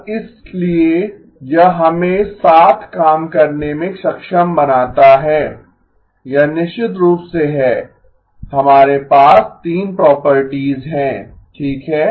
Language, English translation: Hindi, And therefore it enables us to work with, this is of course we have the 3 properties okay